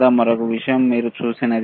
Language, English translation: Telugu, There is another thing